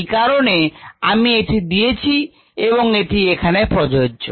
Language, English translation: Bengali, that's a reason i have given it here